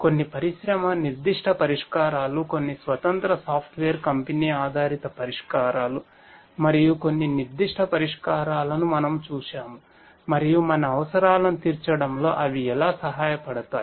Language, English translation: Telugu, We have looked at certain specific solutions that are there some industry specific solutions, some software you know independent software company based solutions and so and how they can help in addressing some of our requirements